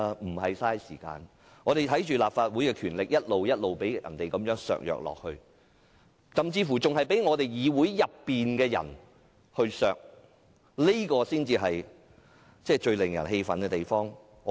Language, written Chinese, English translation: Cantonese, 我們面對強權，看着立法會的權力一直被削弱，甚至是被議會內的人削弱，這才是最令人氣憤的地方。, We are facing the authoritarian power and when we see how the powers of the Legislative Council have been weakening and worse still such powers are weaken by people in this legislature we are most furious